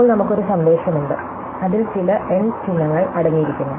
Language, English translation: Malayalam, So, now, we have a message, it consists of some n symbols